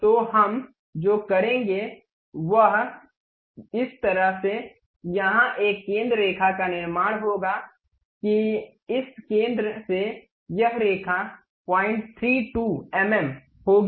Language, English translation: Hindi, So, what we will do is construct a center line here in such a way that this line from this centroid will be of 0